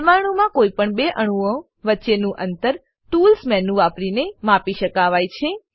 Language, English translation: Gujarati, Distance between any two atoms in a molecule, can be measured using Tools menu